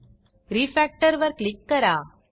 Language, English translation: Marathi, Click on Refactor